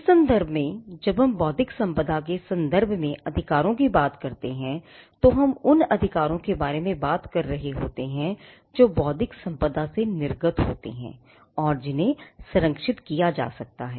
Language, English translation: Hindi, In that sense when we talk about rights, when in connection with intellectual property, we are talking about rights that emanate from the intellectual property which are capable of being protected